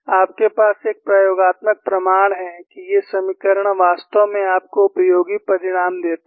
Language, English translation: Hindi, You have an experimental proof, that these equations indeed give you useful result